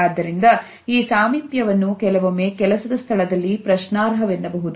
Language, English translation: Kannada, Therefore, this proximity sometimes may be questioned in the workplace